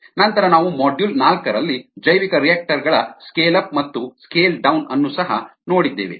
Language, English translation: Kannada, then we also looked at scale up and scale down of bioreactors in module four